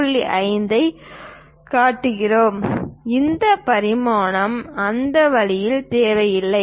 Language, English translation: Tamil, 5 in this way, we don't really require any dimension here